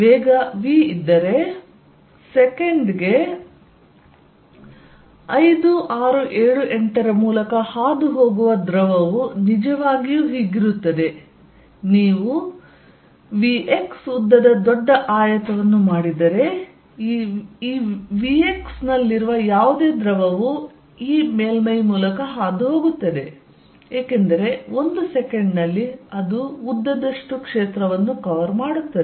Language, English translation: Kannada, If there is a velocity v, then fluid passing through 5, 6, 7, 8 per second will be really, if you make a big rectangle of length v x whatever the fluid is in this v x is going to pass through this surface, because in one second it will cover the length fields